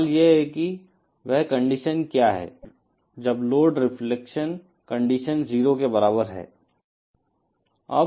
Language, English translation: Hindi, The question is what is that condition, when is that load reflection condition is equal to 0 comes